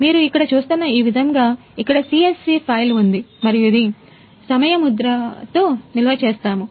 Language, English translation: Telugu, Here is the CSV file as you can see here and it is storing with timestamp